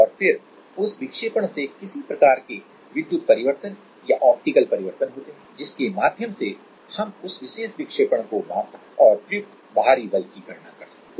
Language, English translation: Hindi, And then that deflection causes some kind of electrical change or optical change through which we can measure that particular deflection and can back calculate the applied external force